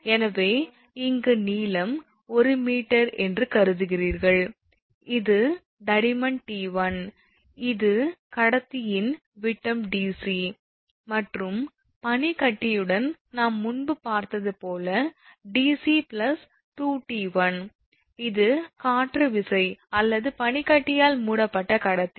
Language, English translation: Tamil, So, in that case length is you have considered 1 meter, this is t 1, thickness is t 1, this is the diameter of the conductor dc same here, same it is here dc, and with ice it is as we have seen before dc plus 2 t 1 right, and this is wind force or conductor covered with ice right